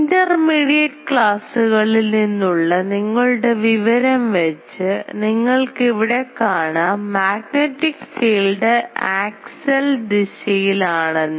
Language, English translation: Malayalam, Now here you see that from your knowledge from class intermediate classes that the magnetic field that will be in the axial direction